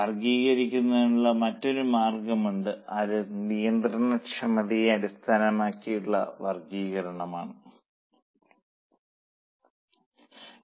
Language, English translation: Malayalam, There is another way of classifying that is classification based on controllability